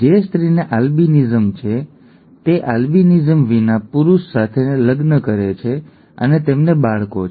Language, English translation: Gujarati, A female who has albinism marries a male without albinism and they have children